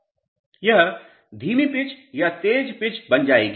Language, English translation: Hindi, It will become a slow pitch or a fast pitch